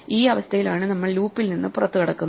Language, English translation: Malayalam, This is the condition under which we exit the loop